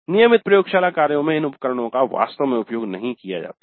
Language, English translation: Hindi, In the regular laboratory works these instruments are not really made use of